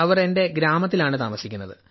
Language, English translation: Malayalam, My children stay in the village